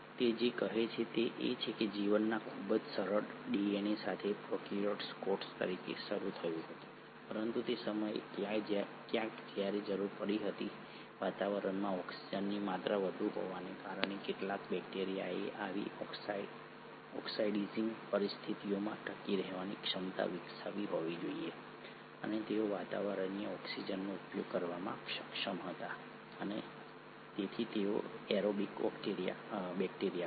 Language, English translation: Gujarati, What it says is the life started as a prokaryotic cell with a very simple DNA, but somewhere around the time when there became a need, because of the atmosphere having high amounts of oxygen, some bacteria must have developed the ability to survive in such an oxidising conditions, and they were able to utilise atmospheric oxygen and hence were aerobic bacteria